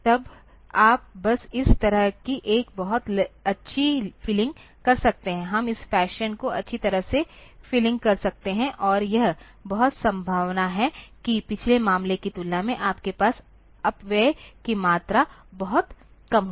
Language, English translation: Hindi, Then you can just do a very nice feeling like this, we can do a nice feeling this fashion, and it is very much likely that the amount of wastage that you will have will be much less compared to the previous case